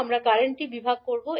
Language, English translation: Bengali, We will use the current division